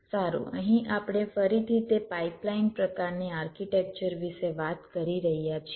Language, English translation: Gujarati, well, here we are again talking about that pipeline kind of an architecture